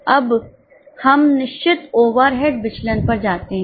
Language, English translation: Hindi, Now, let us go to fixed overhead variance